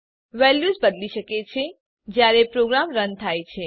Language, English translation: Gujarati, The values can change when a program runs